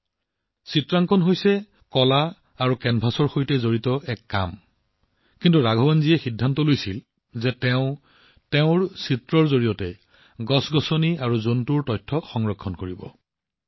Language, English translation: Assamese, You know, painting is a work related to art and canvas, but Raghavan ji decided that he would preserve the information about plants and animals through his paintings